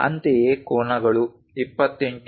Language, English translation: Kannada, Similarly, the angles 28